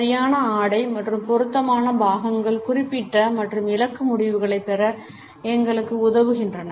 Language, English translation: Tamil, Correct outfit and appropriate accessories help us to elicit specific and targeted results